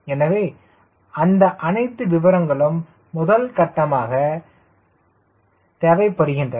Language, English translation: Tamil, so all those details are required as a first step